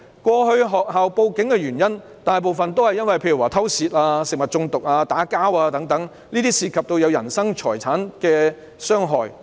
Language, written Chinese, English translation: Cantonese, 過去學校報警的原因，大部分是偷竊、食物中毒、打架等，涉及人身財產的傷害。, In the past reasons for schools filing reports with the Police were mostly theft food poisoning fistfight etc which involved physical harm or damage to property